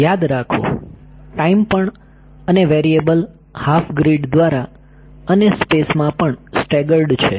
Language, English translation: Gujarati, Remember, in time also the variables are staggered by half a grid and in space also right